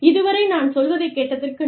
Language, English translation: Tamil, So, thank you, for listening to me